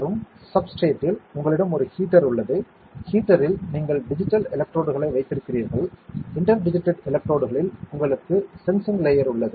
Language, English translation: Tamil, And on the substrate, you have a heater; on the heater you have inter digitated electrodes; on inter digitated electrodes you have a sensing layer